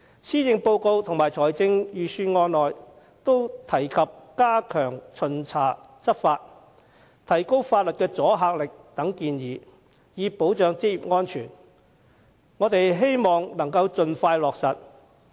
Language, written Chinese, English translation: Cantonese, 施政報告及財政預算案均提及加強巡查、執法、提高法例阻嚇力等建議，以保障職業安全，我們希望政府能盡快落實。, Both the policy address and the budget mention such proposals as stepping up inspections and law enforcement enhancing the deterrence of the legislation and so on with a view to safeguarding occupational safety which we hope can be implemented expeditiously